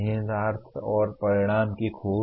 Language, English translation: Hindi, Exploring implications and consequences